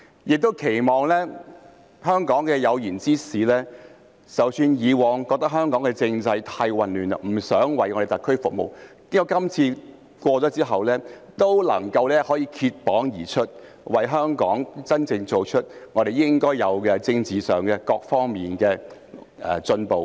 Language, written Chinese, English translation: Cantonese, 我期望香港的有賢之士，即使以往認為香港的政制太過混亂，不想為特區服務，但經過今次之後，也能夠脫縛而出，為香港真正做事，令我們在政治上和各方面都有所進步。, I wish that the talents in Hong Kong despite their unwillingness to serve the SAR due to the excessively chaotic political system of Hong Kong in the past can step forward to truly serve Hong Kong so that we can make progress in our political and other aspects